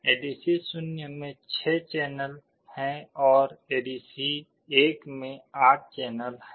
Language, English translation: Hindi, ADC0 has 6 channels and ADC1 had 8 channels